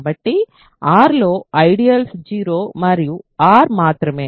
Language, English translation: Telugu, So, the only ideals in R are 0 and R